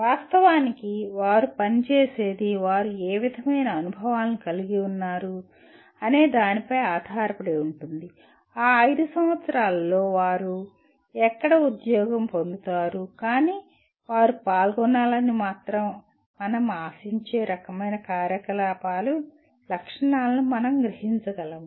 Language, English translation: Telugu, Of course, what they do will depend on what kind of experiences, where they are employed during those 5 years, but can we capture the features of the type of activities we expect them to be involved